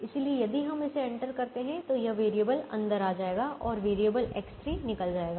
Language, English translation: Hindi, so if we enter this, then this variable will come in and variable x three will leave